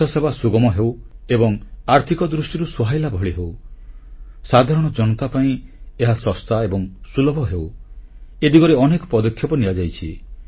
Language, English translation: Odia, Efforts are being extensively undertaken to make health care accessible and affordable, make it easily accessible and affordable for the common man